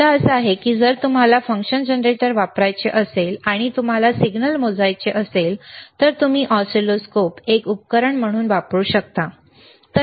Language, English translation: Marathi, The point is, if you want to use function generator, and you want to measure the signal, you can use oscilloscope as an equipment, all right